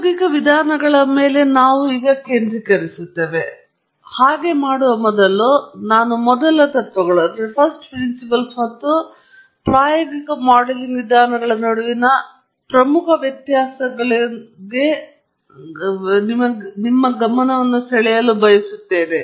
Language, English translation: Kannada, And for the rest of the lecture, we will focus on empirical approaches per se, but before we do that, I just want to draw your attention to a few salient differences between first principles and empirical modelling approaches